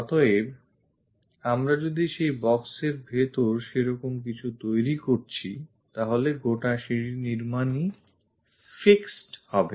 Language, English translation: Bengali, So, if we are making something like that within that box this entire staircase construction is fixed